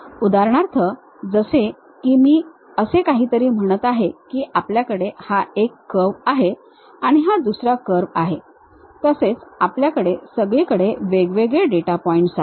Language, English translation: Marathi, For example, like if I am saying something like this is one curve, you have another curve, you have another curve and you have isolated data points here and there